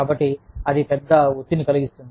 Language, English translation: Telugu, So, that can be a big stressor